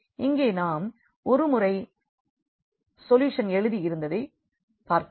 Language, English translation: Tamil, Here we do see once we have written this solution here